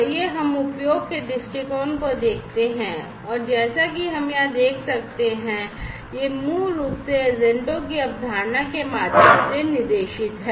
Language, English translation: Hindi, So, let us now after the business viewpoint look at the usage viewpoint and as we can see over here it is basically guided through the concept of the agents